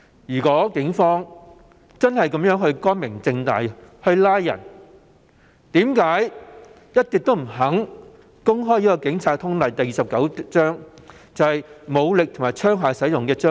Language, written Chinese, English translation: Cantonese, 如果警方的拘捕行動真的光明正大，為何一直不肯公開《警察通例》第29章，有關武力與槍械使用的章節？, If the arrests by police were made fair and square why has the Police Force been refusing to make public Chapter 29 of the Police General Orders which concerns the use of force and firearms?